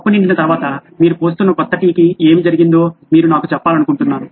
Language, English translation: Telugu, I want you to tell me what happened to the new tea that you were pouring once the cup was full